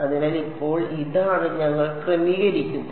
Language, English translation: Malayalam, So, now, this is what we are setting